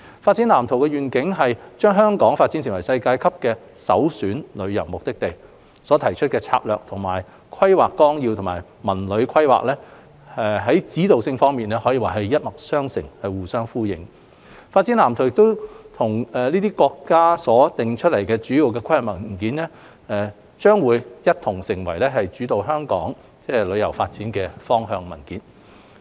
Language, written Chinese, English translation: Cantonese, 《發展藍圖》的願景是將香港發展成為世界級的首選旅遊目的地，提出的策略與《規劃綱要》及《文旅規劃》在指導性方面一脈相承、互相呼應，《發展藍圖》與這些國家所訂下的主要規劃文件將一同成為主導香港旅遊業發展方向的文件。, The vision of the Blueprint is to develop Hong Kong into a world - class premier tourism destination . The development strategies suggested by the Blueprint echoes with the guiding directions of ODP and the CTD Plan . The Blueprint and these major planning documents of our country will be the documents guiding the development direction of the tourism industry of Hong Kong